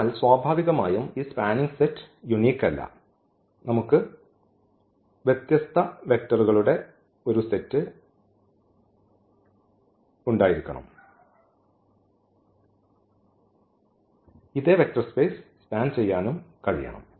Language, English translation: Malayalam, So, naturally this spanning set is not unique, we can have we can have a different set of vectors and that spanned the same vector space